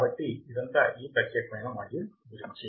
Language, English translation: Telugu, So, this is all about this particular module